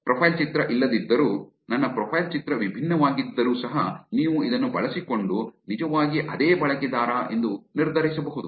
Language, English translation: Kannada, Even without the profile picture, even if my profile picture is different, you can use this to make the decision that is actually the same